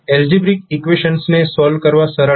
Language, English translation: Gujarati, The algebraic equations are more easier to solve